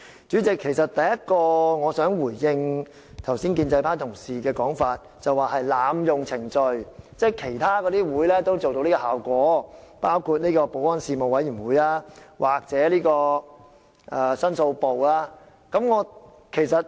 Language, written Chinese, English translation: Cantonese, 主席，首先，我想回應建制派同事剛才指這是濫用程序的說法，他們認為在其他會議討論，包括保安事務委員會或申訴部，也可以收到同樣效果。, President first of all I want to respond to an earlier remark made by a pro - establishment colleague that this motion is an abuse of procedure arguing that the same effect can be attained if the issue is dealt with by the Panel on Security or the Complaints Division